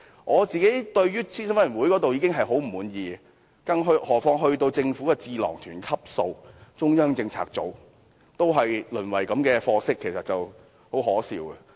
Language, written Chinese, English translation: Cantonese, 我對於諮詢委員會已經很不滿，更何況是達到政府智囊團級數的中央政策組，看到它也淪為這種貨色，實在很可笑。, I do not even like all those advisory committees so how can I possibly approve of CPU which is supposed to be a government - level think tank? . Seeing its degeneration into such a state I really cannot help jeering at it